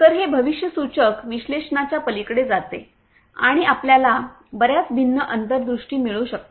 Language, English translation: Marathi, So, it goes beyond the predictive analytics and you can get a lot of different insights